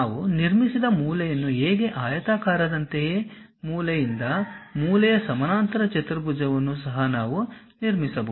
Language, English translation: Kannada, You similar to rectangle how corner to corner we have constructed, corner to corner parallelogram also we can construct it